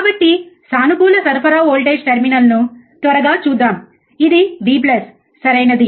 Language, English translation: Telugu, So, let us quickly see the positive supply voltage terminal, that is this one, right